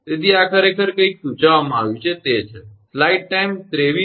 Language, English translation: Gujarati, So, this is actually something is suggested right